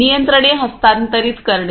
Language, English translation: Marathi, The transfer the controls